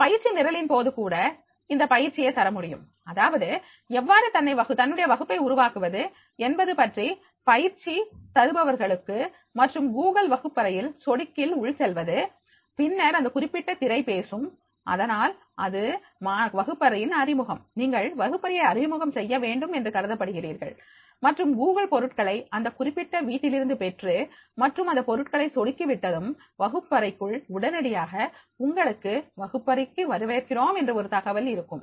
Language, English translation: Tamil, ) During this training program also you can give this training that is the how to create your own class to the trainer and then the click go on to the Google classroom and then this particular screenshot that will talk, so therefore it will be the introducing classroom, you are supposed to introduce the classroom and get the Google products on this particular home and the products you will click as soon as you will click and then you will go to the classroom